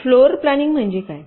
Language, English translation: Marathi, floorplanning: what does it mean